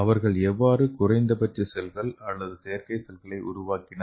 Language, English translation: Tamil, So how they made the minimal cells or synthetic cells